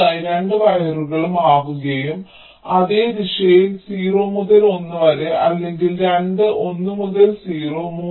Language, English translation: Malayalam, next case: both the wires are switching and in the same direction: zero to one or both one to zero